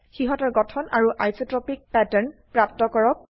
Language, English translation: Assamese, Obtain their Composition and Isotropic pattern